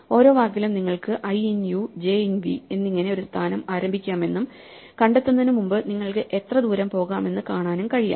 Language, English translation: Malayalam, In each word you can start a position i in u j in v and see how far you can go before you find they are not